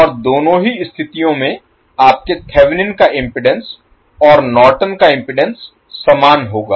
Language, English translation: Hindi, And in both of the cases your Thevenin’s impedance and Norton’s impedance will be same